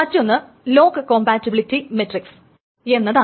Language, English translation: Malayalam, And then there is a lock compatibility matrix